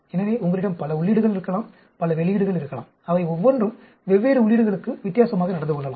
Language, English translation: Tamil, So, you could have several inputs, several outputs and each of them may behave differently for different inputs